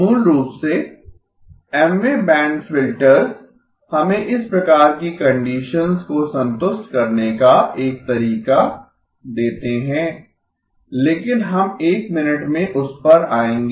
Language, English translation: Hindi, Basically, Mth band filters give us a way to satisfy these types of conditions but we will come to that in a minute